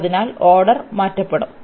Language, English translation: Malayalam, So, the order will be change